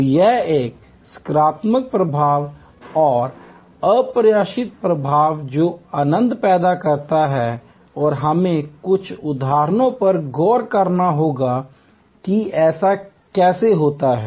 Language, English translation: Hindi, So, this positive affect and unexpected affect that creates the joy and we will have to look at some examples of how that happens